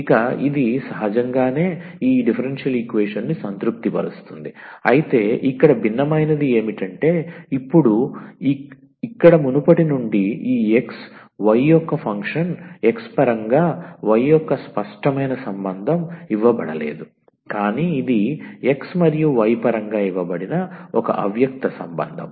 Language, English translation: Telugu, Now from the earlier one here, the function of this x y is given not the as a explicit relation of y in terms of x is given, but it is an implicit relation here given in terms of x and y